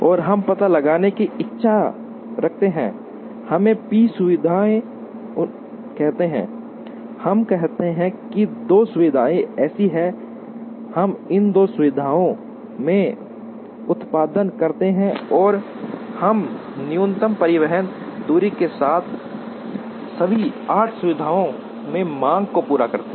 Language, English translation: Hindi, And we wish to locate, let us say p facilities, let us say 2 facilities such that, we produce in these two facilities and we meet the demand in all the 8 facilities with minimum transportation distance